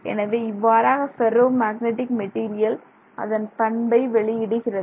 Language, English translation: Tamil, So, this is how the ferromagnetic material behaves